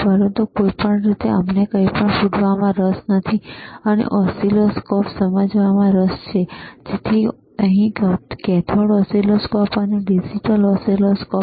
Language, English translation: Gujarati, But anyway, we are not interested in blasting anything, we are interested in understanding the oscilloscope; so cathode oscilloscope here, digital oscilloscopes here